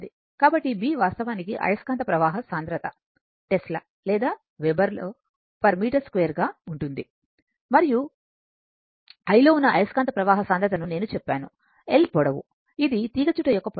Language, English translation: Telugu, So, B actually flux density that is in Tesla or Weber per metre square and l, I told you this is the length of the your l is the your, this is the length of the coil, right